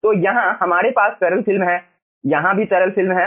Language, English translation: Hindi, here also we are having liquid film